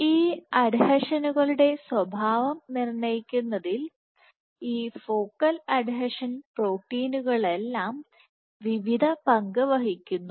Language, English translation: Malayalam, So, all these focal adhesion proteins play various roles in dictating the behavior of these adhesions